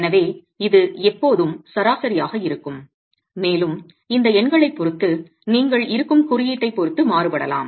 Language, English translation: Tamil, Therefore it's always going to be an average and depending on the code that is, that which you are depending on, these numbers can vary